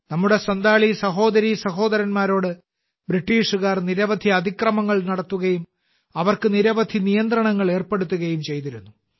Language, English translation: Malayalam, The British had committed many atrocities on our Santhal brothers and sisters, and had also imposed many types of restrictions on them